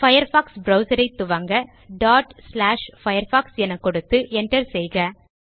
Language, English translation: Tamil, To launch the Firefox browser, type the following command./firefox And press the Enter key